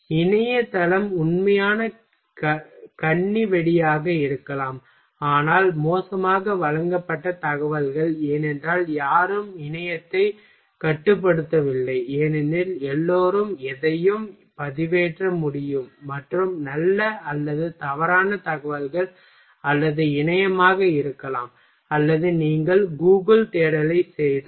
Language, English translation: Tamil, Internet site can be real mine minefield that is true, but lots of poorly presented information, because nobody has controlled internet every can everybody can upload anything and may be good or wrong information or internet or if you will do Google search